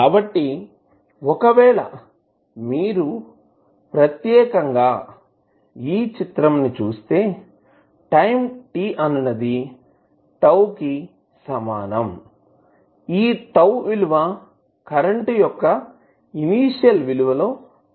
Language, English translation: Telugu, So, if you see particularly this figure you will see that at time t is equal to tau this will become 36